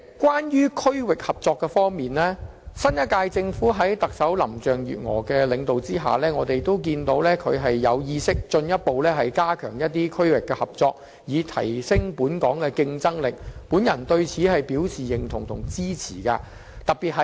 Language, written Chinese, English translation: Cantonese, 關於區域合作方面，新一屆政府在特首林鄭月娥的領導下，進一步加強與一些區域的合作，以提升本港的競爭力，我對此表示認同及支持。, In respect of regional cooperation the incumbent Government has under the leadership of Chief Executive Carrie LAM further strengthened the cooperation with certain places in the region to enhance Hong Kongs competitiveness . I approve and support this initiative of the Government